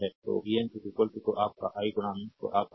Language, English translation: Hindi, So, vn is equal to your i into your Rn, right